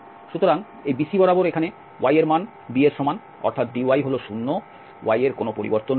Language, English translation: Bengali, So, along this BC here y is equal to b that means dy is 0 there is no variation in y